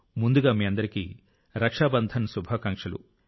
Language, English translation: Telugu, Happy Raksha Bandhan as well to all of you in advance